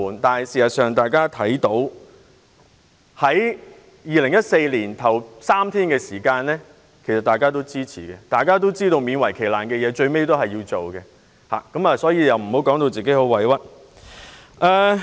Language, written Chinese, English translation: Cantonese, 但是，他在2014年就3天侍產假作出表決時，卻勉為其難地表示支持，所以他不應感到委屈。, However in 2014 he reluctantly voted in favour of the bill which provided for three days paternity leave and so he should not feel aggrieved now